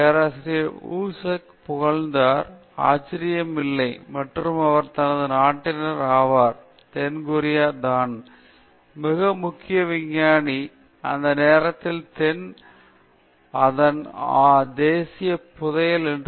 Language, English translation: Tamil, Woo suk shot into fame; no, no surprise, and he became his countryÕs that is South KoreaÕs most prominent scientist and was called its national treasure at that point of time